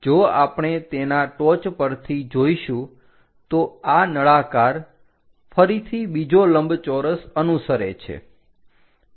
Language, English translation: Gujarati, If we are looking from top of that this cylinder again follows another rectangle